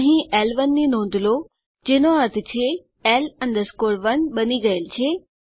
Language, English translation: Gujarati, Notice L1 here which means L 1 is created